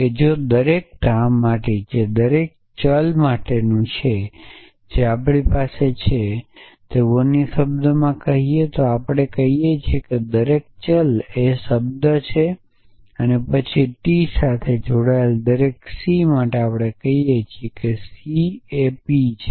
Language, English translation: Gujarati, That if for every edge which belongs to be for every variable that is we have edges belongs to so in other words we are saying every variable is the term then for every c belonging to T we say C belongs to p